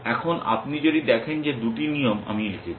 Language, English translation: Bengali, Now, if you look at that two rules that I have written